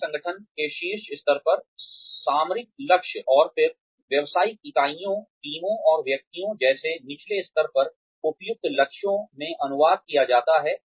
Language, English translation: Hindi, Strategic goals at the top level of an organization, and then translated into appropriate goals at lower levels such as business units, teams, and individuals